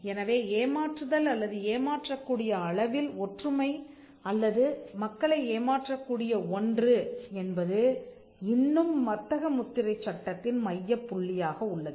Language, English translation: Tamil, So, deception or deceptive similarity or something that could deceive people still remains at the centre or still remains the focal point of trademark law